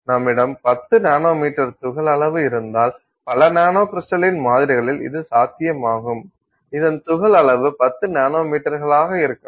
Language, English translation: Tamil, So, if you have a 10 nanometer particle size which is very likely in many nanocrystaline samples that you see the particle size could easily be 10 nanometers